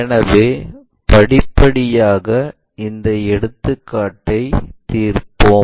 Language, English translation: Tamil, So, let us solve that problem step by step